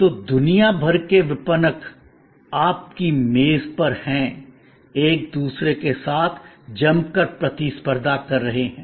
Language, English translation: Hindi, So, the marketers from across the world are at your desk, competing fiercely with each other